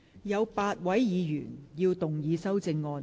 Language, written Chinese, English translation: Cantonese, 有8位議員要動議修正案。, Eight Members will move amendments to this motion